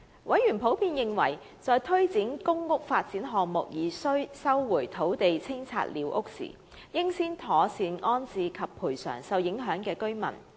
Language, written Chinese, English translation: Cantonese, 委員普遍認為，在推展公屋發展項目而需收回土地清拆寮屋時，應先妥善安置受影響的居民，並作出賠償。, Members were generally of the view that in conducting squatter clearances to resume land for PRH developments the Government should rehouse and compensate the affected occupants of squatter structures in the first place